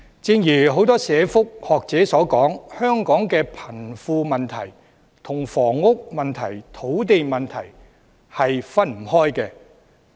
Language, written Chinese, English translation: Cantonese, 正如很多社福學者所說，香港的貧富問題與房屋問題及土地問題分不開。, As pointed out by many academics in social welfare the wealth disparity in Hong Kong is inseparable from housing and land issues